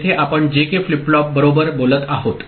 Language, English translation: Marathi, Here we are talking about JK flip flop right